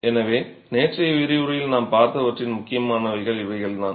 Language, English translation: Tamil, So, that's the gist of what we had seen in yesterday's lecture